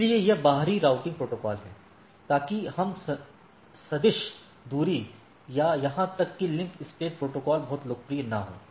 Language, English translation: Hindi, So, it is exterior routing protocol so that we distance vector or even link state protocols are not very popularized